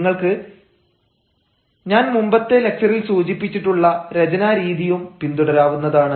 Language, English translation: Malayalam, but then you can also follow the practice of writing as i said in the earlier lecture